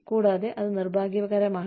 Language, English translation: Malayalam, And, that is unfortunate